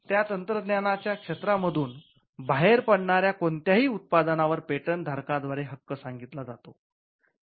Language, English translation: Marathi, So, whatever products that can come out of that technological area can now be carved as a right by the patent holder